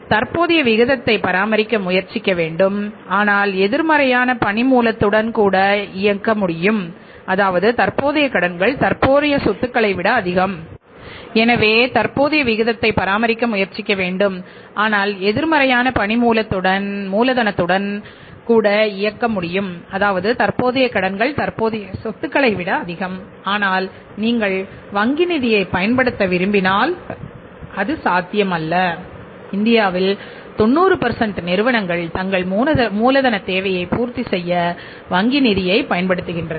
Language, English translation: Tamil, So, we should try to maintain the current ratio but see we can even run the show with the negative working capital also where the current liabilities are more than the current assets but that will not be possible if you want to make use of the bank finance and 90% of the firms in India are using the bank finance to fulfil their working capital requirements so in that case you have to maintain the current ratio that is 1